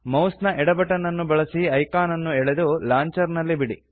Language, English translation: Kannada, Now, drag and drop the icon to the Launcher